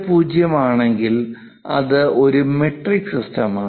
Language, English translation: Malayalam, 50, it is a metric system